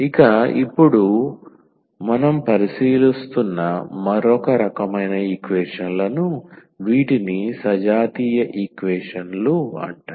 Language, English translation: Telugu, So, another type of equations we will consider now these are called the homogeneous equations